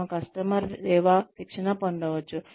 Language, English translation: Telugu, We can have customer service training